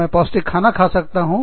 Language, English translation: Hindi, I can eat healthy food